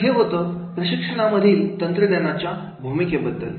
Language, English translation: Marathi, So, this is all about the role of technology in training